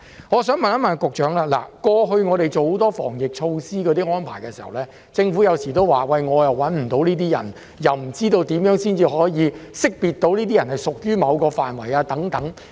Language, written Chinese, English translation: Cantonese, 我想追問局長，過去我們做了很多防疫措施和安排，有時候政府也會說找不到人，又說不知道怎樣才可以識別出屬於某個範圍的人士等。, I would like to ask the Secretary a supplementary question . Despite the many preventive measures and arrangements that we have made in the past sometimes the Government would say that it is unable to find these people and that it does not know how to identify those who belong to a certain category so on and so forth